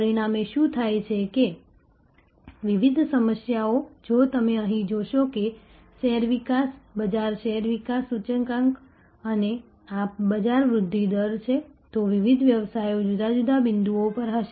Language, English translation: Gujarati, As a result, what happens is that different businesses, if you see here if we see that share development, market share development index and this is the market growth rate, then the different businesses will be at different points